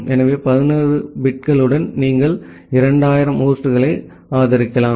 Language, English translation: Tamil, So, with 11 bits, you can support 2000 number of host